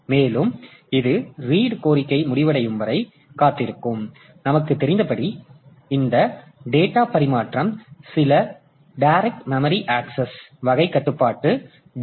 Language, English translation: Tamil, So, and in the, so it will wait for the read request to be over and as we know that this data transfer is done by means of some direct memory access sort of controller, DMA controller